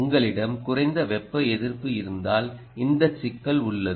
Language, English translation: Tamil, thermal resistance: if you have a low thermal resistance, you have this problem